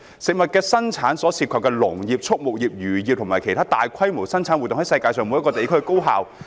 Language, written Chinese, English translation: Cantonese, 食物的生產所涉及的農業、畜牧業、漁業等的生產活動在世界每一個地區進行。, The production activities of farming animal husbandry fisheries etc . involved in the production of food are carried out in every part of the world